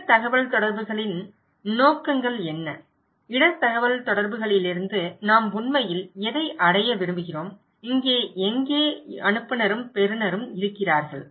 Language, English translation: Tamil, Let us look what are the objectives of risk communications, what we really want to achieve from risk communication, where here is so we have sender and the receiver